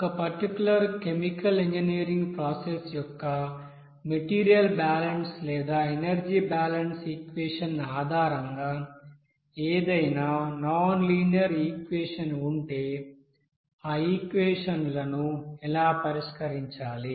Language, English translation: Telugu, If suppose any nonlinear equation is coming based on the material balance equation or energy balance equation for a particular chemical engineering process, how to solve those